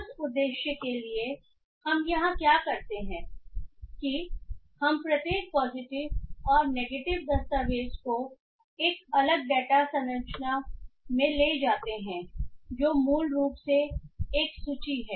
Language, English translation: Hindi, So, for that purpose what we do here is that we take each positive and negative documents into separate data structure which is basically list